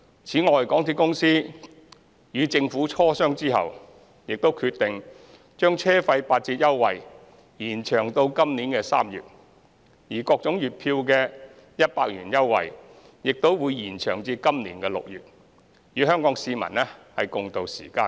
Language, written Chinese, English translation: Cantonese, 此外，港鐵公司與政府磋商後，亦決定將車費八折優惠延長至今年3月，而各種月票的100元折扣優惠，亦會延長至今年6月，與香港市民共渡時艱。, In addition after discussion with the Government MTRCL has decided to extend the 20 % fare discount until March this year and also extend the 100 discount for various types of monthly pass until June this year in order to tide over the difficulties together with the people of Hong Kong